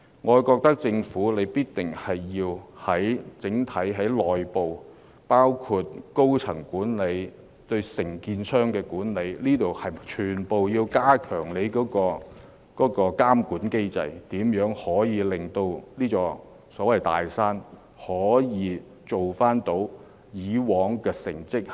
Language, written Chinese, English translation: Cantonese, 我覺得政府必須從港鐵公司內部運作入手，包括管理層表現、承建商管理等方面來加強對港鐵公司的監管，令這座"大山"取得以往的成績，再次成為實行高質素管理的機構。, In my opinion the Government must start with the internal operation of MTRCL including the performance of the Management and management of contractors to enhance the supervision of MTRCL so that this big mountain can regain its laurels and become an organization practising quality management again